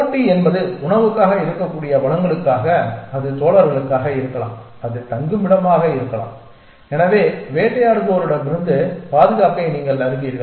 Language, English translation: Tamil, Competition is for resources it could be for food, it could be for mates, it could be for shelter which is you know safety from the predator essentially